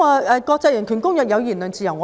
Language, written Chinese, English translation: Cantonese, 我們一向尊重言論自由。, We always respect freedom of speech